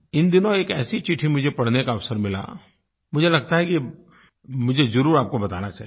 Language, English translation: Hindi, Recently, I had the opportunity to read a letter, which I feel, I should share with you